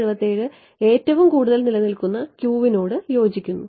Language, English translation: Malayalam, So, 1677 corresponds to the Q which lasts the longest ok